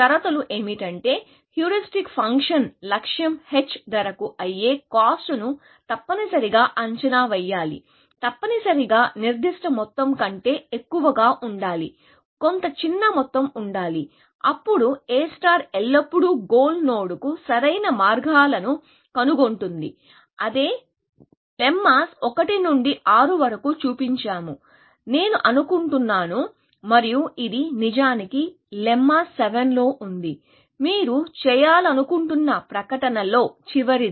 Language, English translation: Telugu, The conditions are that the heuristic function must under estimate the cost to the goal h cost, must be more than some specified amount, some small amount, then A star will always find optimal paths to the goal node; that is what we showed in lemmas 1 to 6, I think, and this is actually in lemma 7; the last of the statements that you want to make